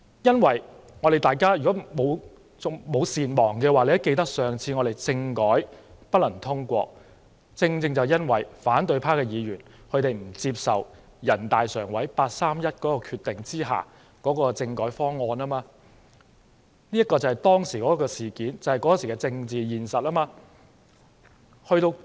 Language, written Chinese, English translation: Cantonese, 如果大家不是善忘的人，也會記得上次政改不能通過，正正因為反對派議員不接受人大常委會八三一決定的政改方案，這便是當時的政治現實。, If we are not forgetful we must remember that the last constitutional reform package could not get passed because the opposition party did not accept the 31 August Decision made by the Standing Committee of the National Peoples Congress . That was the political reality at that time